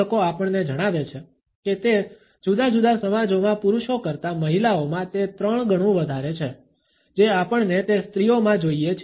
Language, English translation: Gujarati, Researchers tell us that it is three times as often as men in different societies, we find that in women